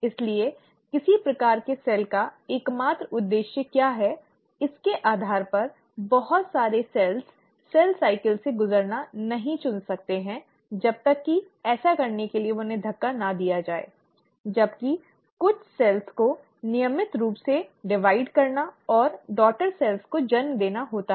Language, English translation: Hindi, So, depending upon what is the sole purpose of a given type of cell, lot of cells may choose not to undergo cell cycle unless pushed to do so; while certain cells have to routinely divide and give rise to daughter cells